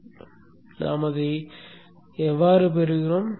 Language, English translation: Tamil, So how we get that is like this